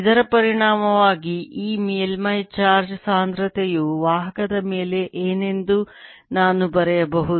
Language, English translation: Kannada, as a consequence, i can also write what this surface charge density will be on a conductor